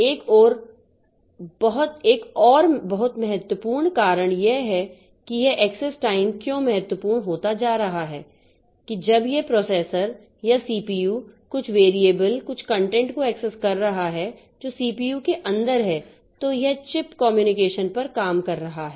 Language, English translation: Hindi, Another very important reason that why this access time is becoming important is that when this processor or the CPU is accessing some variable some content of the locations which are inside the CPU, then it is doing on chip communication